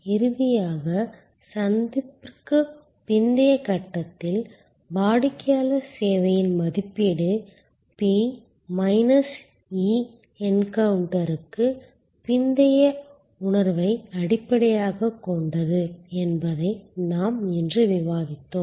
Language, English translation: Tamil, And finally, we have discussed today that in the post encounter stage, we have to understand that the customers evaluation of service will be based on P minus E post encounter perception with respect to pre encounter or in encounter expectation